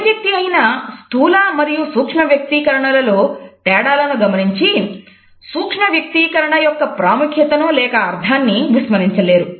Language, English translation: Telugu, Not everybody can make out the difference between a macro and micro expression and can lose the significance or the meaning of micro expressions